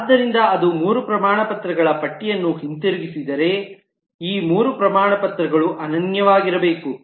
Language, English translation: Kannada, so if it returns a list of three certificates, then these 3 certificates will have to be unique